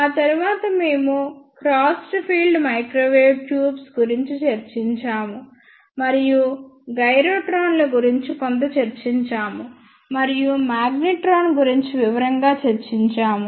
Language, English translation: Telugu, After that we discussed about crossed field microwave tubes, and we discussed little bit about gyrotrons, and we discussed magnetron in detail